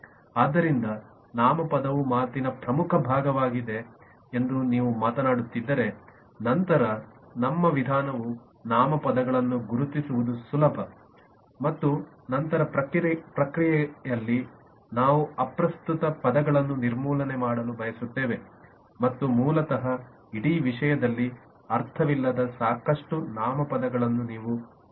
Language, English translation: Kannada, so if you are talking about the noun being the major part of speech, then our approach would be to identify nouns, which is a easiest to identify, and then in the process we would like to eliminate irrelevant terms and you will find lot of nouns which basically does not have a sense in this whole thing